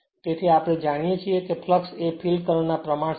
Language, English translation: Gujarati, So, we know that flux is proportional to the field current